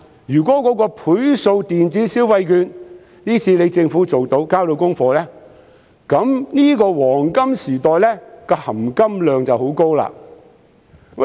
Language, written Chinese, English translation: Cantonese, 如果政府今次可以推出"倍數電子消費券"，交到功課，這個"黃金時代"的"含金量"就會很高。, If the Government can get its job done by introducing the multiple electronic consumption vouchers the gold content of this golden era will be very high